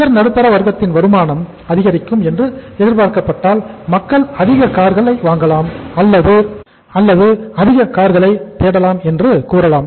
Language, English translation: Tamil, If the income of the upper middle class is expected to go up we can say that people may start say buying more cars or looking for more cars